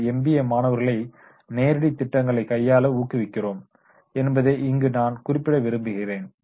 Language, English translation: Tamil, I would also like to mention that what we do that we encourage our MBA students that is to go for the live projects